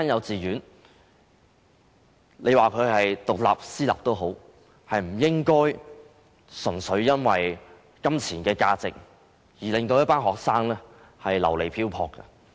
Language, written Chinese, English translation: Cantonese, 即使是獨立的私立幼稚園，也不應純粹因為金錢而令一群學生流離漂泊。, Even an independent private kindergarten should not make a group of students leave their place of study just because of monetary considerations